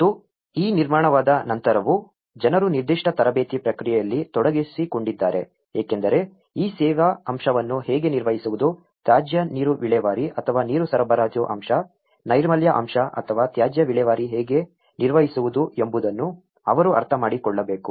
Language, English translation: Kannada, And even, after this construction, people have been engaged in certain training process because they need to get into understanding how to maintain these service aspect, how to maintain the greywater take off or the water supply aspect, the sanitation aspect or the waste disposal